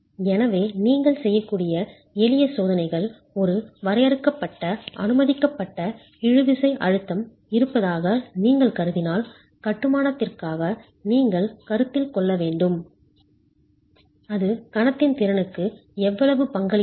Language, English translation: Tamil, So simple checks that you can do is if you assume there is a finite tensile permissible tensile stress that you want to consider for the masonry, how much does that contribute to the moment capacity